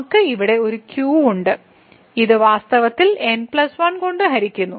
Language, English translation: Malayalam, So, we have a here and this is in fact, divided by plus 1